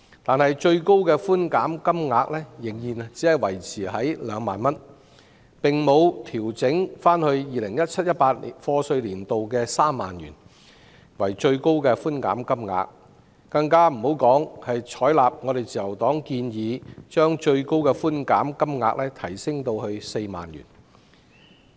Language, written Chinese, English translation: Cantonese, 但是，相關的最高寬減金額仍然維持在2萬元，並沒有重回 2017-2018 課稅年度的3萬元水平，更遑論採納自由黨建議把上限提升至4萬元。, However the relevant concession ceilings remain at 20,000 . They have not reached the YA 2017 - 2018 level of 30,000 not to mention the suggested level of 40,000 by the Liberal Party